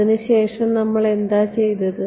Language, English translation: Malayalam, After that what did we do